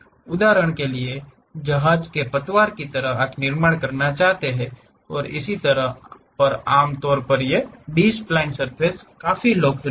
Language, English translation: Hindi, For example, like ship hulls you want to construct and so on, usually these B spline surfaces are quite popular